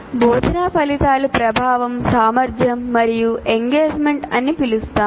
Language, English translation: Telugu, So we can call it instructional outcomes are effectiveness, efficiency and engagement